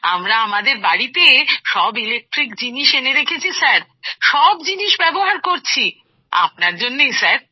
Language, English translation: Bengali, In our house we have brought all electric appliances in the house sir, we are using everything because of you sir